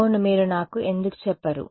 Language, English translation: Telugu, Yeah why don't you tell me